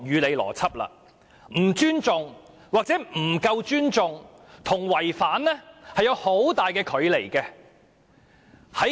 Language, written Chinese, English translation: Cantonese, "不尊重"或"不夠尊重"與"違反"在字義上差距甚大。, Disrespectful or not respectful enough is quite different in meaning from contravening